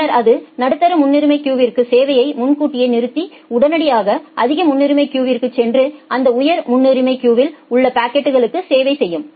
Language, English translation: Tamil, Then it will preempt the service at the medium priority queue and immediately goes back to the high priority queue and serve the packets from that high priority queue